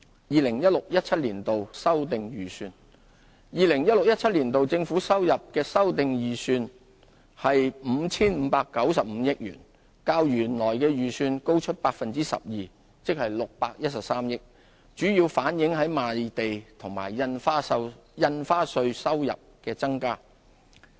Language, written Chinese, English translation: Cantonese, 2016-2017 年度政府收入的修訂預算為 5,595 億元，較原來預算高 12%， 即613億元，主要反映賣地和印花稅收入的增加。, The 2016 - 2017 revised estimate on government revenue is 559.5 billion 12 % or 61.3 billion higher than the original estimate . This is due mainly to the increase in revenue from land sales and stamp duty